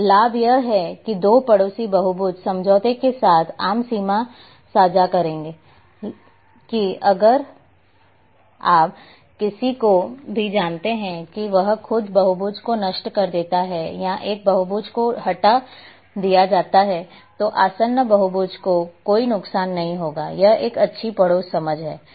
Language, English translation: Hindi, Now advantage here that the two neighbouring polygons will share a common boundary with agreement that if anyone you know destroys own polygon or one polygon is removed then there will not be any harm to the adjacent polygon it is a good neighbourhood understanding